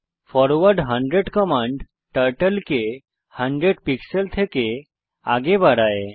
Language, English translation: Bengali, forward 100 commands Turtle to move forward by 100 pixels